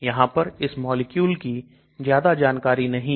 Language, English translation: Hindi, Not much information about this molecule is there